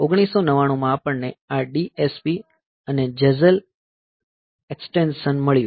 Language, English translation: Gujarati, 1999 we have got this DSP and Jazelle extensions